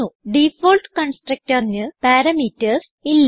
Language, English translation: Malayalam, Default constructor has no parameters